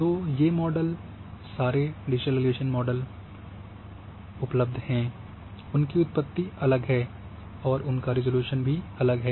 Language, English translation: Hindi, So, these models are available digital elevation model, their their genesis are different and their spatial resolution are different